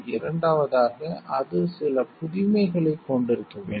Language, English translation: Tamil, It second it must carry some novelty